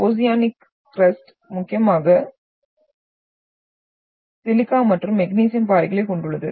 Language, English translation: Tamil, Oceanic crusts are mainly comprised of silica and magnesium rocks